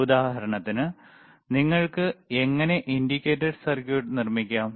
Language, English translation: Malayalam, For example, how you can fabricate indicator circuit